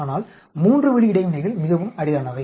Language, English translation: Tamil, 3 way interactions are very rare